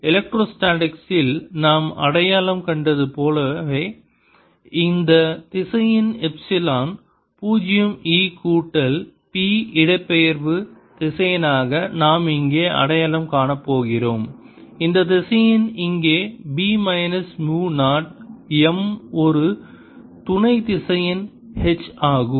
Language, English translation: Tamil, just like we identified an electrostatics, this vector, epsilon zero e plus p, as it is placement vector, we are going to identify here, this vector, here b minus mu naught m, as an auxiliary vector